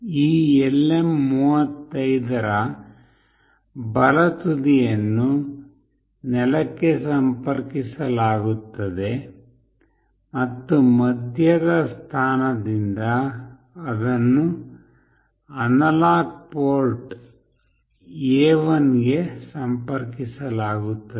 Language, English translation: Kannada, The right end of this LM 35 will be connected to ground, and from the middle position it will be connected to the analog port A1